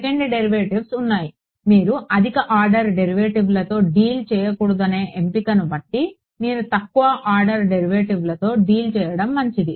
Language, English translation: Telugu, Second derivatives of course, given the choice you would rather not had deal with higher order derivatives better you deal with lower order derivative